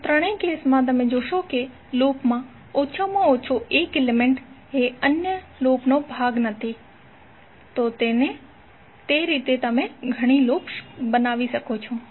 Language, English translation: Gujarati, So in all the three cases you will see that at least one element in the loop is not part of other loop, So in that way you can create the number of loops